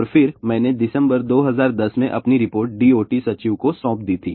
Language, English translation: Hindi, And then, I had also submitted my report to D O T secretary in December 2010